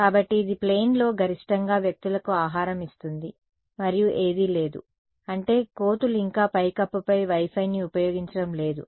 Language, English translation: Telugu, So, that it feeds maximum people in the plane and there is no, I mean monkeys are not yet using Wi Fi one the roof